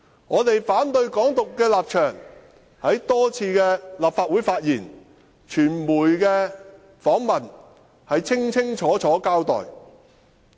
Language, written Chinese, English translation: Cantonese, 我們反對港獨的立場在多次的立法會發言及傳媒的訪問，已清楚交代。, We have made clear our stance of opposition to Hong Kong independence repeatedly in this Council and during media interviews